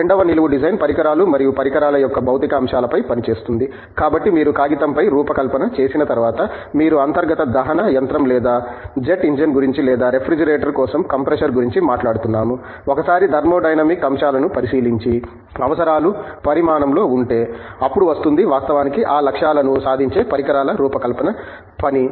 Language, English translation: Telugu, The second vertical namely Design, works on the material aspects of equipment and devices so, once you have a design on paper that has been letÕs say, you are talking about an internal combustion engine or jet engine or comprehensive for a refrigerator, once the thermodynamic aspects are being looked at and the requirements have been sized, then comes the task of designing the equipment which actually will achieve those goals